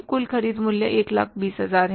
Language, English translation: Hindi, Total purchase value is 1,000